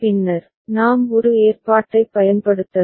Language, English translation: Tamil, Then, we can use an arrangement ok